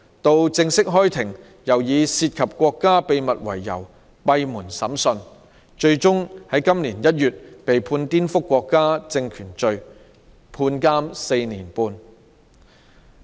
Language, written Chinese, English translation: Cantonese, 到了正式開庭的時候，又以"涉及國家秘密"為由進行閉門審訊，他最終在今年1月被判顛覆國家政權罪，判監4年半。, He was finally sentenced to four and a half years of imprisonment in January this year because he committed the offence of subversion of state power